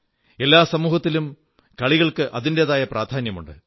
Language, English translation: Malayalam, Sports has its own significance in every society